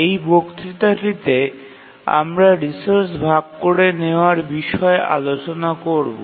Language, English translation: Bengali, And today this lecture we will see that resource sharing introduces complexity